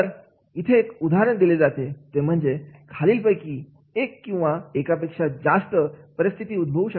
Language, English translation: Marathi, So, one example has been given one or more of the following situations could occur